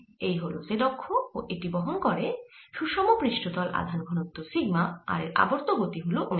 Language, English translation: Bengali, therefore, this is the z axis, carries the uniform surface charge, density, sigma and is rotating with angular speed, omega